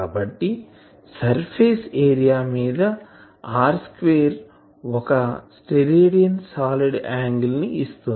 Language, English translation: Telugu, So, that means, an surface area r square subtends one Stedidian solid angle